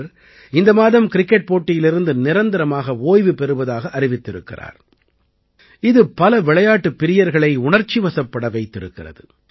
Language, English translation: Tamil, Just this month, she has announced her retirement from cricket which has emotionally moved many sports lovers